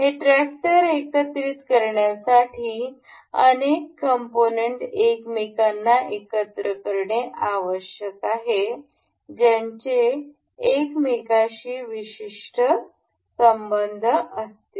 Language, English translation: Marathi, Assembling this tractor requires multiple components to be gathered each other each each of which shall have a particular relation with each other